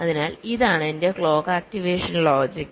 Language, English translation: Malayalam, so this is my clock activation logic